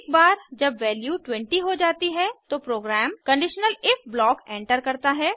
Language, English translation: Hindi, Once the value becomes 20, the program enters the conditional if block